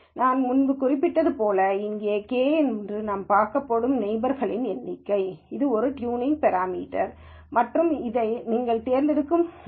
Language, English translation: Tamil, As I mentioned before, this k, the number of neighbors we are going to look at, is a tuning parameter and this is something that you select